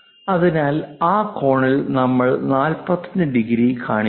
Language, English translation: Malayalam, So, that angle what we are showing as 45 degrees